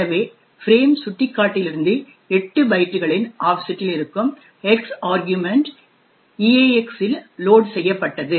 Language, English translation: Tamil, So, what is there is that the argument X which is present at an offset of 8 bytes from the frame pointer is loaded into EAX